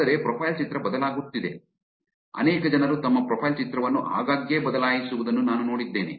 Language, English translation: Kannada, But a profile picture changing, I've seen many people change a profile picture pretty often